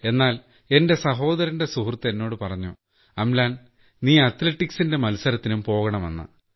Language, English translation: Malayalam, But as my brother's friend told me that Amlan you should go for athletics competitions